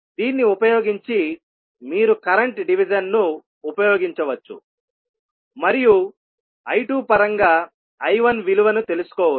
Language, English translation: Telugu, So using this you can simply use the current division and find out the value of I 1 in terms of I 2